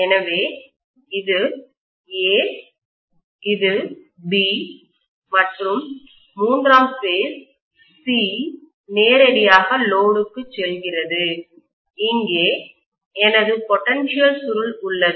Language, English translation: Tamil, So this is A, this is B, and the third phase C is directly going to the load and here is my potential coil